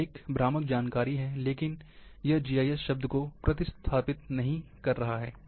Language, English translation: Hindi, That is a misleading information, but it is not substituting, or replacing the term GIS